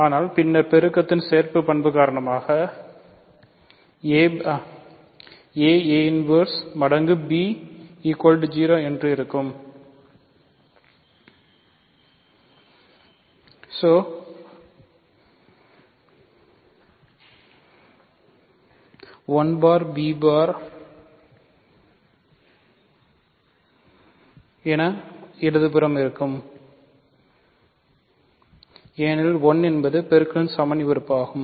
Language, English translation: Tamil, So, this is what it is, but then associativity of multiplication says that this is equal to this a bar inverse times a bar equal times b bar, but a bar inverse a times a bar is 1 bar times b bar is 0 bar, 1 bar times b bar is 1 b bar because 1 bar is the multiplicative identity